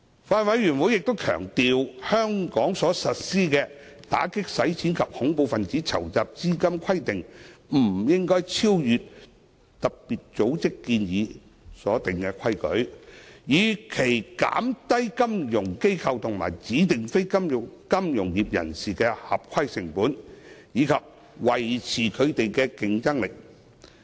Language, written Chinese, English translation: Cantonese, 法案委員會強調，香港所實施的打擊洗錢及恐怖分子資金籌集規定不應超越特別組織建議所訂的規定，以期減低金融機構及指定非金融業人士的合規成本，以及維持他們的競爭力。, The Bills Committee has stressed that Hong Kong should not implement AMLCTF requirements that are beyond FATF recommendations so as to minimize the compliance costs of FIs and DNFBPs and to maintain their competitiveness